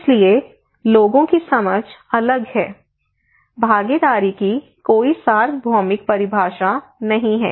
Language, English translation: Hindi, So, therefore, people have different understanding; there is no universal definition of participations